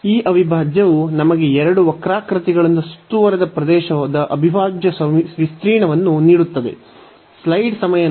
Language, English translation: Kannada, So, this integral will give us the area of the integral of the region bounded by these two curves